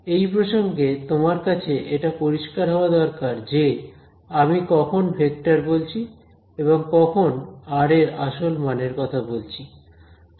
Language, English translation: Bengali, So, it should be clear to you from the context when I am referring to the vector and when I am referring to the value the absolute value of r ok